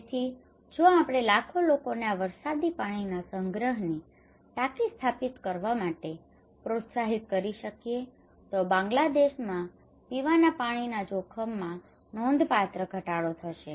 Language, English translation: Gujarati, So if we can able to encourage millions of people to install this rainwater harvesting tank, then it will be significantly reduce the drinking water risk in Bangladesh